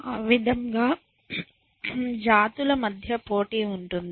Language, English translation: Telugu, So, there is competition within the species